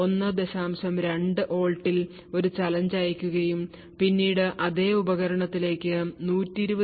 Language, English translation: Malayalam, 2 volts and when the challenge was given at 120 degrees 1